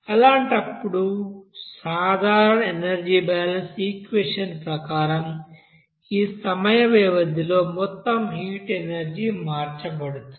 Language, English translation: Telugu, So in that case total heat energy will be changed between during this time interval and as per that general energy balance equation